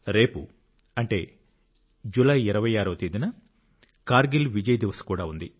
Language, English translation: Telugu, Tomorrow, that is the 26th of July is Kargil Vijay Diwas as well